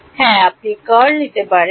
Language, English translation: Bengali, Yeah you can take the curl